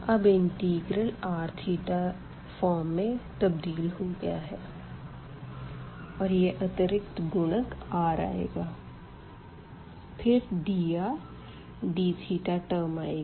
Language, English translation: Hindi, So, we have the integral now converted into r theta form and this additional factor r has come and then we have dr d theta term